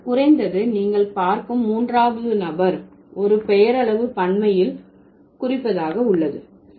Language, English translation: Tamil, But at least in the third person you see there is a nominal plural affix marker